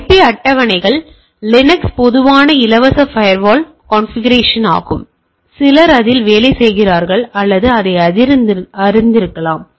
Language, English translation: Tamil, So, IP tables is a common free firewall configuration for Linux, some of you may be worked on it or knowing it